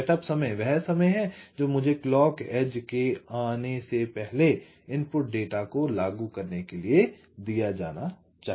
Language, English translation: Hindi, setup time is the time that must be given for me to apply the input data before the clock edge comes